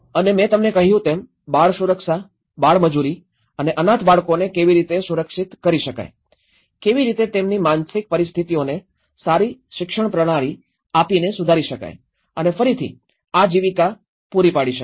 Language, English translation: Gujarati, And as I said to you, the child protection, how the child labour and the orphan children could be protected, how their psychological conditions could be improved by providing a better education systems and again the livelihood aspect